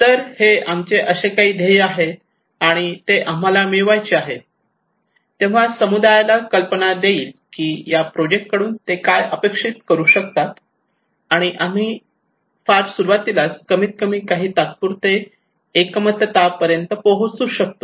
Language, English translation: Marathi, Okay these are some of our goal, and that we would like to achieve so this will give the community an idea that what they can expect from this project and we can reach to a consensus in the very beginning at least some tentative consensus that okay